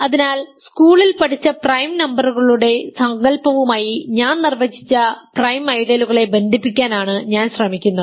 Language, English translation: Malayalam, So, I am I am trying to connect the notion of prime ideals that I have just defined to the notion of prime numbers that we learnt in school p dividing ab